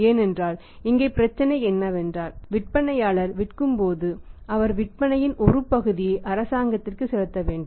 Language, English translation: Tamil, Because here the problem is that you see that when the seller is selling he has to pay at the point of sales to the government one component that is called as a tax